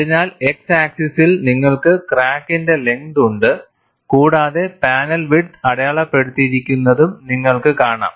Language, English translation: Malayalam, So, on the x axis, you have the crack length and you could also see the panel width marked